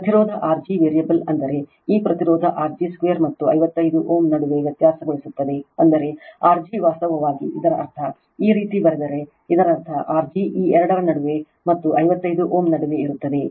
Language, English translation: Kannada, The resistance R g is variable that means, this resistance R g is variable between 2 and 55 ohm that means R g actually that means, if you write like this that means that means, your R g is lying in between these two, and 55 ohm right